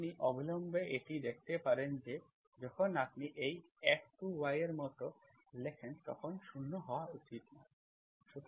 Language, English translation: Bengali, You can see that this immediately when you write like this F2 of y f 2 should not be 0